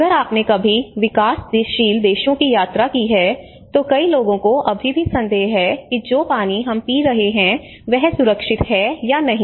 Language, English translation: Hindi, Like if you ever travelled in the developing countries many people even still doubt whether the water we are drinking is safe or not